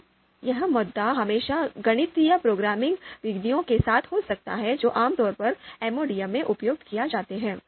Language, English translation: Hindi, So this issue can always be there with the you know mathematical programming methods that are typically used in MODM